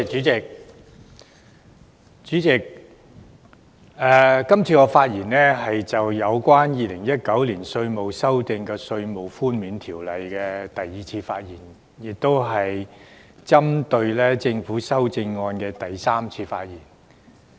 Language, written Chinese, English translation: Cantonese, 主席，今次是我就《2019年稅務條例草案》的第二次發言，亦是針對政府修正案的第三次發言。, Chairman this is the second time that I speak on the Inland Revenue Amendment Bill 2019 the Bill and the third time that I speak on the Governments amendment